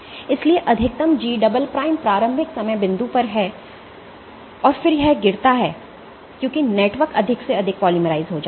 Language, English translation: Hindi, So, maximum G double prime is at in at the initial time point And then it drops as that network becomes more and more polymerized